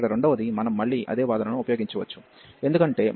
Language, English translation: Telugu, The second one here we can again use the same argument, because again this e power minus x cos x over this x square